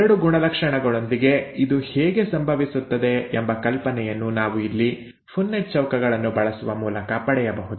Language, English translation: Kannada, This is how it happens with two characters which we can get an idea by using the Punnett Squares here